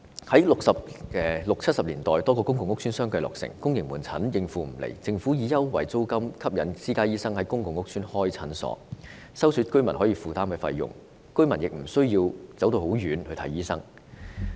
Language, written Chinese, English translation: Cantonese, 1960年代、1970年代多個公共屋邨相繼落成，由於公營門診未能應付需求，政府便以優惠租金吸引私家醫生在公共屋邨開設診所，收取居民可負擔的診金，居民求診亦無需長途跋涉。, In the 1960s or 1970s a number of PRH estates were completed one after another and as outpatient services in the public sector could not meet the demand the Government offered concessionary rents to attract private doctors to set up clinics in PRH estates and provide medical consultation at fees affordable to the tenants thus saving tenants the need to travel a long distance for medical consultation